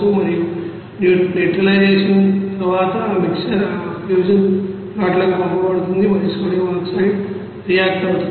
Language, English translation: Telugu, And after neutralization you will see that those mixer will be sent to that fusion pots and however that sodium oxide will be reacted